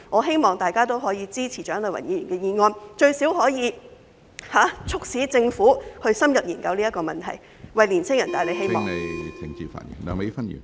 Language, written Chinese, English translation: Cantonese, 希望大家支持蔣麗芸議員的議案，該議案最少可促使政府深入研究有關問題，為年青人帶來希望。, I hope that Members will support Dr CHIANG Lai - wans motion as it at least prompt the Government to study the relevant problems in depth to bring hope to young people